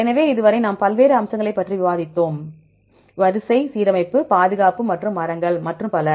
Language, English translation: Tamil, So, far we discussed various aspects for example, sequence alignment, conservation and the trees and so on